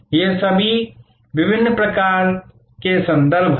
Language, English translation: Hindi, All these are different types of references